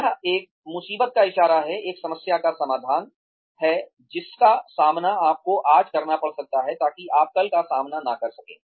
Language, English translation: Hindi, That is a SOS, a sort of solution to a problem, that you may be facing today, that you may not face tomorrow